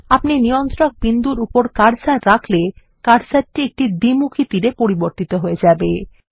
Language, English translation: Bengali, As you hover your cursor over the control point, the cursor changes to a double sided arrow